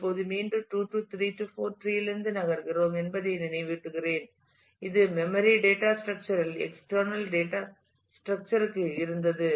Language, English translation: Tamil, Now again I would remind you that we are moving from 2 3 4 tree, which was a in memory data structure to a external data structure